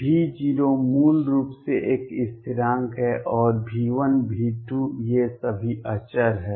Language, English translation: Hindi, V 0 is basically a constant, and V n V 1 V 2, all these are constants